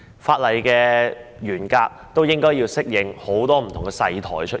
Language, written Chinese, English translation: Cantonese, 法例的內容亦應該適應很多不同"細台"的出現。, The contents of legislation should also cater to the emergence of many different small platforms